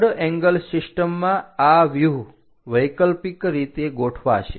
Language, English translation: Gujarati, In the third angle system, these views will be alternatively arranged